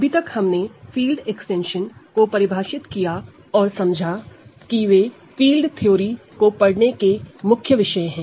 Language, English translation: Hindi, So, far we defined what field extensions are and we learned that those are the main objects of studying field theory